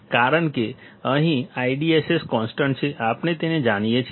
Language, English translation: Gujarati, Because here I D S S is constant; we know it